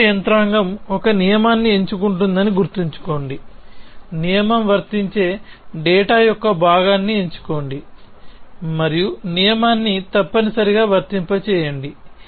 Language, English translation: Telugu, So, remember that the basic mechanism is pick a rule pick a piece of data for which the rule is applicable and apply the rule essentially